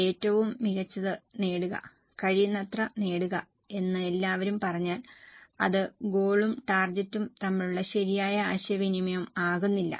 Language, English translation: Malayalam, If everybody just says that achieve the best, achieve as much as possible, it doesn't give a proper communication of the goals and targets